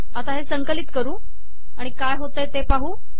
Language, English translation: Marathi, Lets compile this and see what happens